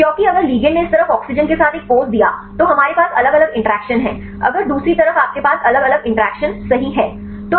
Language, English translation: Hindi, Because if the ligand we gave one pose with oxygen at this side we have different interactions, if the other side you have different interactions right